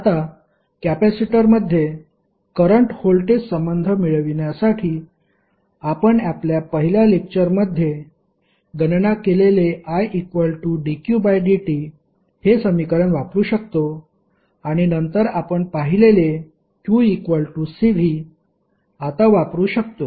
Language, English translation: Marathi, Now, to obtain current voltage relationship in a capacitor, we can use the equation I is equal to dq by dt, this what we calculated in our first lecture and then q is equal to C V which we just now saw